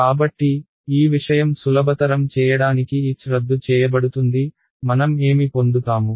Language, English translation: Telugu, So, this thing will simplify 1 h will get cancelled, what am I going to get